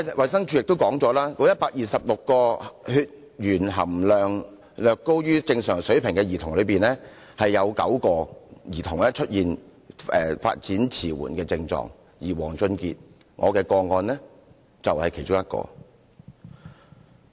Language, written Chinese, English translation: Cantonese, 衞生署也表示，該126名血鉛含量略高於正常水平的兒童之中，有9名兒童出現發展遲緩的症狀，而我的個案當事人王俊傑便是其中一個。, The Department of Health also says that among the 126 children with slightly higher than normal blood lead level nine have symptoms of development retardation and my client WONG Chun - kit is one of them